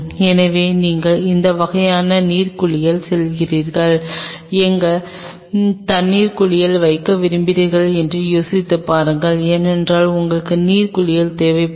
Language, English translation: Tamil, So, think over its what kind of water bath you are going and where you want to place the water bath because you will be needing water bath